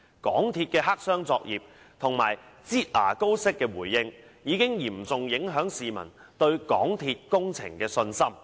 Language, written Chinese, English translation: Cantonese, 港鐵公司的黑箱作業及"擠牙膏式"的回應，已嚴重影響市民對港鐵工程的信心。, MTRCLs black - box operations and its piecemeal approach of responding which is like squeezing toothpaste out of a tube have seriously undermined public confidence in MTRCL projects